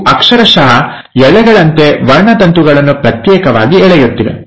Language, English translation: Kannada, These are literally like threads, which are pulling the chromosomes apart